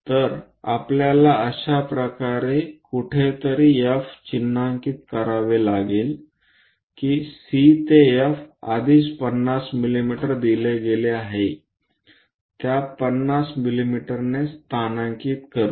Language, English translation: Marathi, So, somewhere F we have to mark it in such a way that C to F is already given 50 mm, with that 50 mm locate it